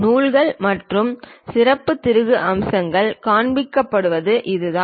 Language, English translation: Tamil, This is the way ah threads and special screw features we will show it